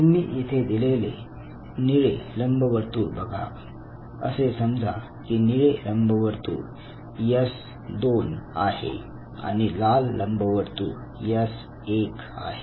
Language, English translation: Marathi, So, look at the blue ellipse here and he says that fine if the blue ellipse is a say S2 and the red ellipse is S1